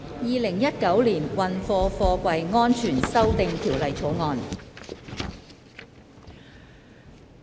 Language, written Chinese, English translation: Cantonese, 《2019年運貨貨櫃條例草案》。, Freight Containers Safety Amendment Bill 2019